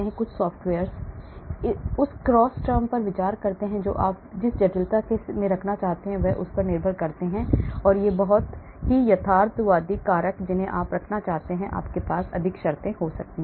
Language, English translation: Hindi, some software consider the cross term depending upon the complexity you want to put in, realistic factors you want to put in, you can have more terms